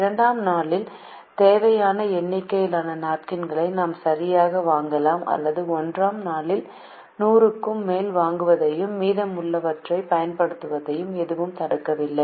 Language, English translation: Tamil, but we can also do something like this: we can either buy exactly the required number of napkins on day two or nothing prevents us from buying more than hundred on day one and using the remaining ones to meet the demand of day two